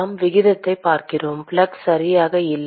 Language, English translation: Tamil, We are looking at rate not flux right